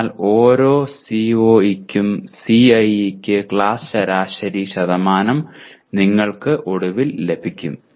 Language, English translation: Malayalam, So you finally get class average percentages for CIE for each CO